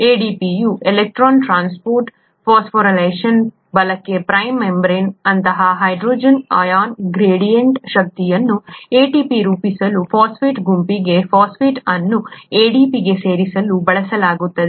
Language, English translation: Kannada, The electron transport phosphorylation of ADP, right, the energy of the hydrogen ion gradient across an integral membrane is used to add phosphate to the phosphate group to ADP to form ATP